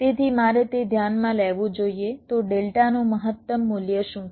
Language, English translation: Gujarati, so what is the maximum value of delta